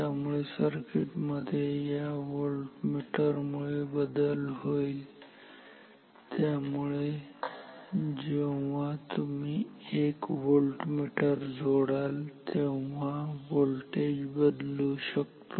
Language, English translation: Marathi, So, the circuit is changed because of this voltmeter and therefore, this voltage may change when you connect a voltmeter